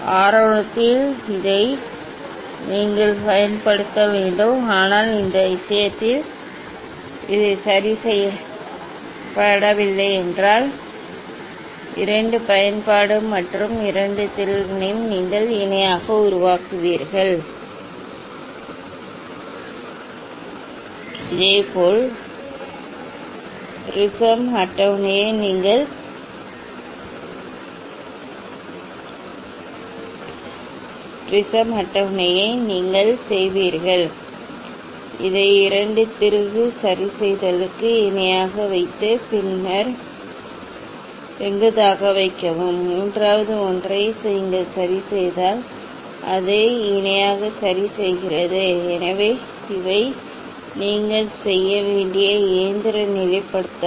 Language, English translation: Tamil, initially this you should use this three, but not this one in this case fixed; so, this two use and also you use this two screw make it parallel, Similarly, prism table you will make it parallel ok, putting the this one parallel to the two screw adjust and then put it perpendicular, third one you adjust this one makes it parallel ok; so, these are the mechanical levelling you have to do